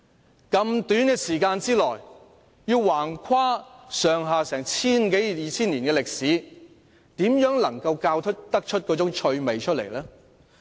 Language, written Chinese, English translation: Cantonese, 在那麼短的時間內便要橫跨千多二千年的歷史，如何能夠教出趣味？, As the history that spans almost 2 000 years is covered within such a short period of time how is it possible that the teaching can be interesting?